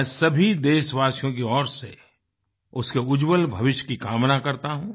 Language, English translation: Hindi, On behalf of all countrymen, I wish her a bright future